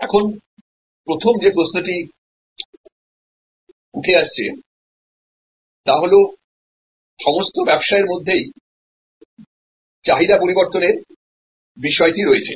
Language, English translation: Bengali, Now, the first question that we arise will be that demand variation is there in all businesses